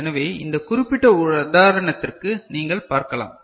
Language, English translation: Tamil, So, for this particular example you can see